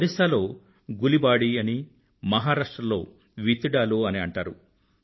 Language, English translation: Telugu, In Odisha it's called Gulibadi and in Maharashtra, Vittidaaloo